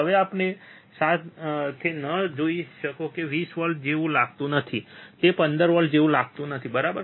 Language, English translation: Gujarati, Now do not do not go with this that it does not look like 20 volts, it does not look like 15 volts, right